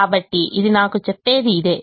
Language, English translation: Telugu, so that is what this tells me